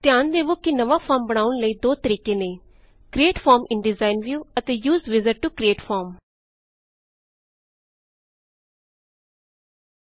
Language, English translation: Punjabi, Notice that there are two ways to create a new form: Create Form in Design View and Use Wizard to create form